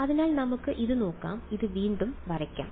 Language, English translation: Malayalam, So, let us look at this let us draw this again